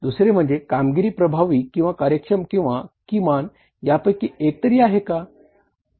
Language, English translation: Marathi, Second is performance may be effective, efficient both or neither